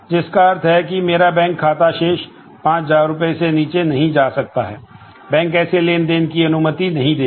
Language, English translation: Hindi, So, which means that my account balance cannot go below five thousand rupees the bank will not allow those transactions